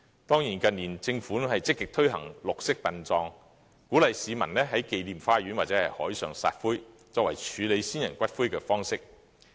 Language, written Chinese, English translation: Cantonese, 當然，政府近年積極推行綠色殯葬，鼓勵市民在紀念花園或海上撒灰，作為處理先人骨灰的方式。, The Government has in recent years been actively promoting green burial encouraging members of the public to scatter ashes in gardens of remembrance or at sea as a way of disposing the ashes of the deceased